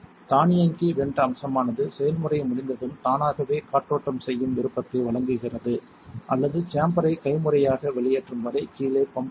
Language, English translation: Tamil, The automatic vent feature gives you the option of venting automatically after the process is complete or leaving the chamber pumped down until it is manually vented